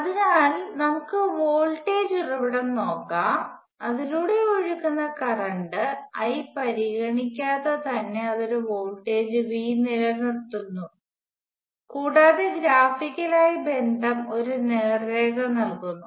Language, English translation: Malayalam, So let us look at voltage source, it maintenance a voltage V regardless of the current I that is flowing through it; and the relationship graphically is given by straight line